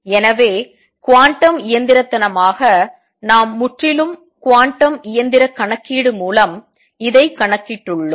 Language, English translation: Tamil, So, quantum mechanically we have also calculated this through a purely quantum mechanical calculation